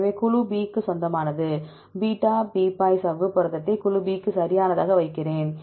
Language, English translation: Tamil, So, it belongs to group B, I put the membrane beta barrel membrane protein as group B right